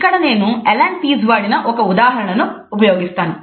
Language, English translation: Telugu, Here I have quoted an example, which have been used by Allan Pease